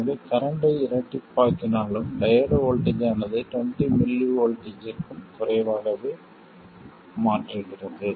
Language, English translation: Tamil, So, even doubling the current changes the diode voltage only by something less than 20molts